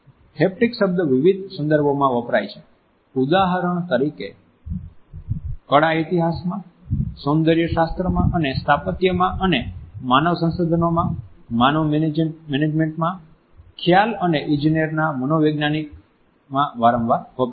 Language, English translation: Gujarati, The term haptics is deployed in various contexts for example in art history in aesthetics and architecture, and more frequently in the psychology of perception and engineering in man management in human resources